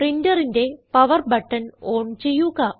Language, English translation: Malayalam, Switch on the power button on the printer